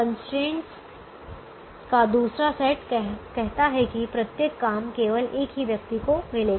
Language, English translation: Hindi, the second set of constraint says: for every job, it will go to only one person